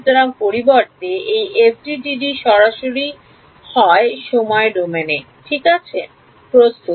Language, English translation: Bengali, So, instead this FDTD is directly formulated in the time domain ok